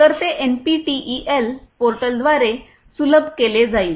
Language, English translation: Marathi, So, it is going to be made accessible through the NPTEL portal